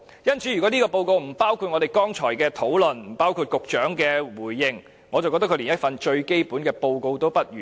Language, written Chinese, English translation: Cantonese, 因此，如果這份報告不包括我們剛才的討論，不包括局長的回應，我認為它連最基本的報告也不如。, Therefore if such a report does not include the discussions we have just had and the Secretarys responses to me it cannot be regarded as a report even in the most elementary sense